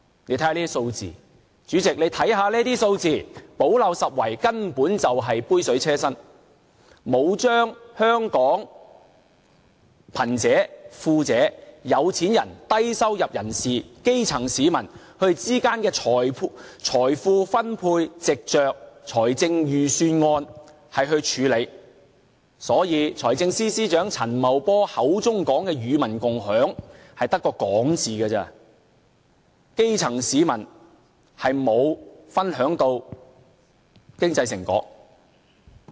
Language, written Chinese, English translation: Cantonese, 大家看看這些數字，主席，你看看這些數字，補漏拾遺根本是杯水車薪，並沒有把香港貧者、富者、有錢人、低收入人士、基層市民之間的財富分配，藉着預算案來處理，所以財政司司長陳茂波口中所說的與民共享，只是說說而已，基層市民並沒有分享經濟成果。, Members should take a look at the figures and Chairman you should take a look at them too . The gap - plugging measures are merely a drop in the ocean . The Government is unable to solve the problem of wealth distribution among the poor people the rich people the wealthy people and the low - income class by way of the budget